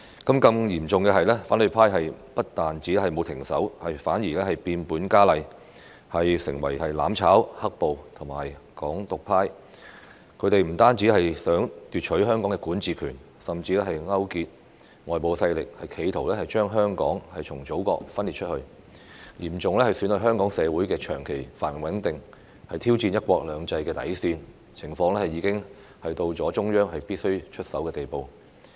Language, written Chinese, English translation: Cantonese, 更嚴重的是，反對派不但沒有停止，反而變本加厲，成為"攬炒"、"黑暴"和"港獨"派，他們不但想奪取香港的管治權，甚至勾結外部勢力，企圖將香港從祖國分裂出去，嚴重損害香港社會的長期繁榮穩定，挑戰"一國兩制"的底線，情況已經到了中央必須出手的地步。, Worse still the opposition camp not only refused to stop . They even went further to become the camp of mutual destruction black - clad violence and Hong Kong independence . Not only did they want to seize the power to govern Hong Kong they even colluded with external forces in an attempt to make Hong Kong secede from the Motherland seriously jeopardizing the long - term prosperity and stability of Hong Kong society and challenging the bottom line of one country two systems